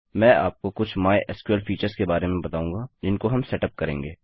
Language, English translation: Hindi, Ill take you through some of the mySQL features that we will set up